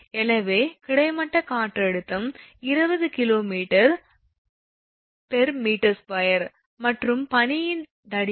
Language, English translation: Tamil, So, horizontal wind pressure is 20 kg per meter square right, and the thickness of ice is 1